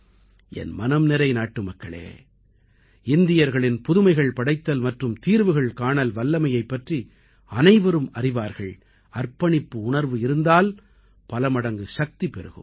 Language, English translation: Tamil, My dear countrymen, everyone acknowledges the capability of Indians to offer innovation and solutions, when there is dedication and sensitivity, this power becomes limitless